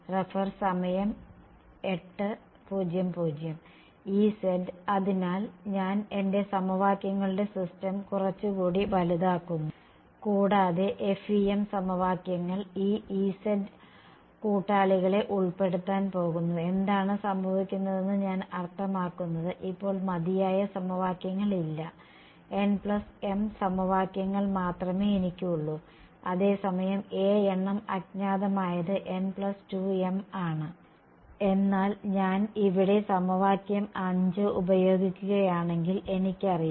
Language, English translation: Malayalam, E z so, I am making my system of equations a little bit larger right and the FEM equations are going to involve this E z fellows right and what happens to I mean there are not enough equations right now, I only have n plus m equations whereas a number of unknowns is n plus